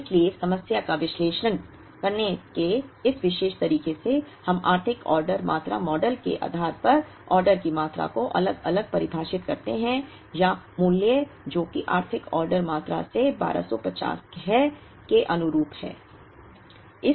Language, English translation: Hindi, So, in this particular way of analyzing the problem, we define the order quantity separately based on economic order quantity model or a value that is suitably rounded from the economic order quantity which is 1250